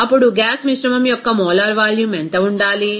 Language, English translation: Telugu, Then what should be the molar volume of the gas mixture